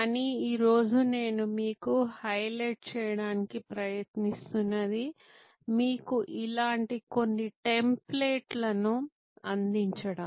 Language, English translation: Telugu, But, today what I am trying to highlight to you is to provide you with some templates like this one